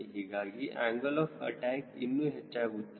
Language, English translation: Kannada, so angle of attack further increase